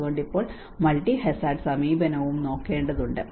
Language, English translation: Malayalam, So now we have to look at the multi hazard approach as well